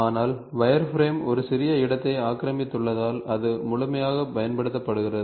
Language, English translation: Tamil, But wireframe is exhaustively used because it occupies a small space